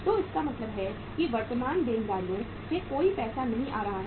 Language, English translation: Hindi, So it means no penny is coming from the current liabilities